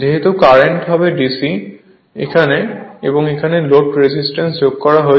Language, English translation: Bengali, Since the current will be DC, and that is the sum load resistance is connected here right